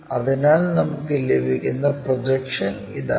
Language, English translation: Malayalam, So, this is the projection what we have already